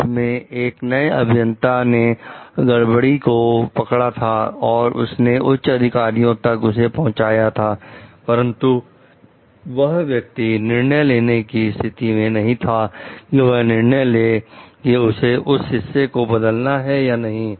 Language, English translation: Hindi, So, this new engineer has detected some fault you he or she may report it to the higher up, but that person is not in a decision making position to take a decision whether to replace those parts or not